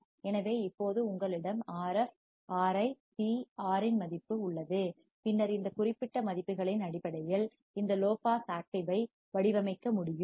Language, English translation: Tamil, So, now, you have value of Rf, Ri, C, R and then, based on these particular values you can design this low pass active